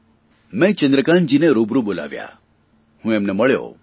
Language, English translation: Gujarati, I called Chandrakantji face to face